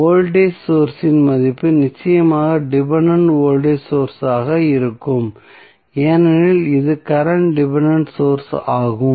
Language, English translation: Tamil, The value of the voltage source that is definitely would be the dependent voltage source because this is the dependent current source